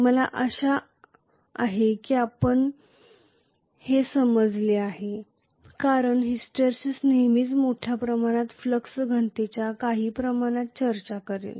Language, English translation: Marathi, I hope you understand because hysteresis will always talk about some amount of remnant flux density